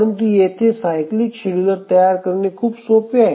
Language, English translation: Marathi, But here the cyclic scheduler is very simple